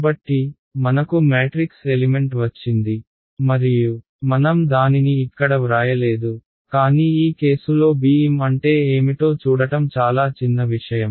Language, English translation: Telugu, So, I have got a matrix element and I did not write it over here, but it is trivial to see what is bm in this case